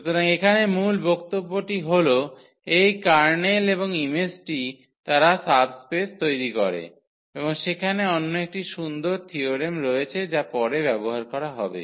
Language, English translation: Bengali, So, here the point is that these kernel and the image they form subspace and there is another nice theorem which will be used later